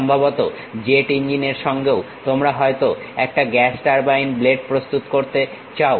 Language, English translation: Bengali, Perhaps you want to prepare gas turbine blade with jet engine also